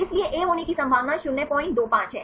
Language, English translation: Hindi, So, probability of having A is 0